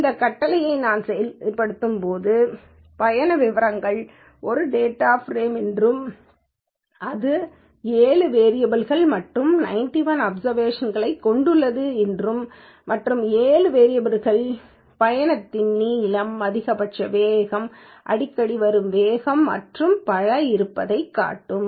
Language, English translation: Tamil, When I execute this command, it will show that trip details is a data frame which contains 91 observations of 7 variables and the 7 variables are trip n maximum speed, most frequent speed and so on and correspondingly it gives what is the data type of these variables